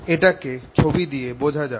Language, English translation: Bengali, so let's make this pictorially